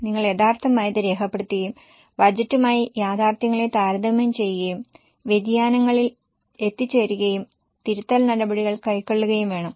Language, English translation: Malayalam, You have to record the actuals, compare the actuals with budget, arrive at variances and take corrective action